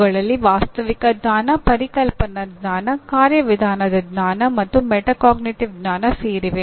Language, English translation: Kannada, These include Factual Knowledge, Conceptual Knowledge, Procedural Knowledge, and Metacognitive Knowledge